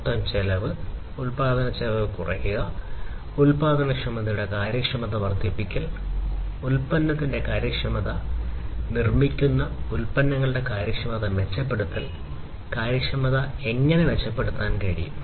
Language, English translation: Malayalam, Reducing the overall cost, cost of production; increasing the efficiency, efficiency of productivity, efficiency of the product, that is being done that is being manufactured, the improving the efficiency of the surfaces, efficiency of the production processes can also be improved